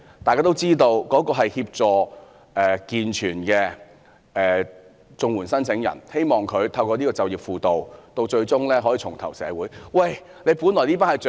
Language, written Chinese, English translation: Cantonese, 大家也知道該計劃是協助健全綜援申請人，希望他們透過計劃最終可以重投社會。, We all know that the programme is designed for assisting able - bodied CSSA recipients hoping they can eventually reintegrate into society through the programme